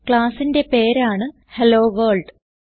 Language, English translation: Malayalam, HelloWorld is the name of the class